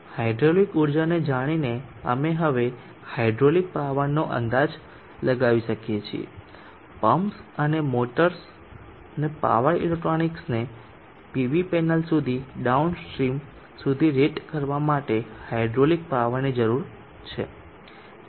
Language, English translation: Gujarati, Hydraulic energy we can now estimate the hydraulic power is needed to rate the pumps and the motors and the power electronics downstream up to the PV panel